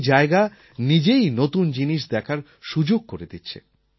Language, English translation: Bengali, This in itself gives us an opportunity to see something new